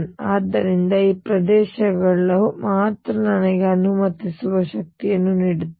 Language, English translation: Kannada, So, only these regions give me energy that is allowed